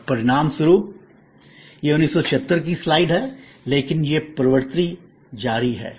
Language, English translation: Hindi, And as a result this is a slide from 1976, but this trend is continuing